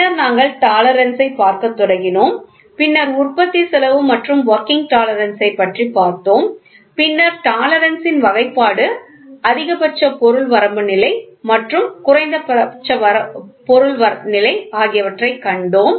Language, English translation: Tamil, Then we started looking into tolerance, then what are the influence of manufacturing cost and working tolerance then we saw the classification of tolerance, then maximum material limit condition and minimum material condition